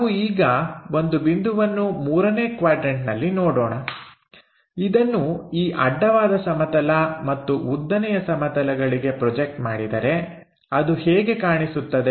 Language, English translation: Kannada, Let us look at a point in 3rd quadrant, if it is projected onto these planes vertical plane and horizontal plane how it looks like